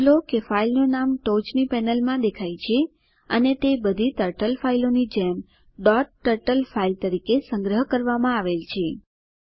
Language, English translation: Gujarati, Notice that the name of the file appears in the top panel and it is saved as a dot turtle file like all Turtle files